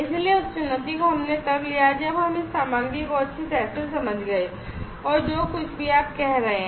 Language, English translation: Hindi, So, that challenge we took when we understood this material well and this part whatever you are saying